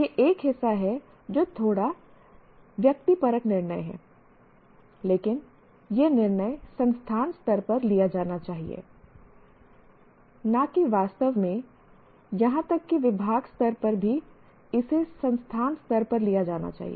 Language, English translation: Hindi, This is one part which is again it is a little subjective decision but the decision should be taken at the institute level rather than or not in fact even at department level it should be taken at the institution level